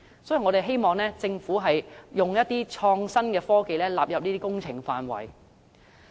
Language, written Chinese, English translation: Cantonese, 所以，我們希望政府會將創新科技納入這些工程範圍。, Hence we hope the Government will incorporate innovation and technology into these works